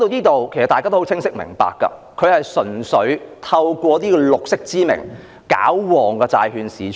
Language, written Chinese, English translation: Cantonese, 至此大家也很明白，政府純粹是假借"綠色"之名來"搞旺"債券市場。, So far we understand very well that the Government merely aims to energize the bond market in the guise of green